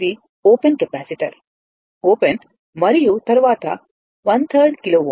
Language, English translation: Telugu, This is open capacitor is open and then your 1 3rd kilo ohm right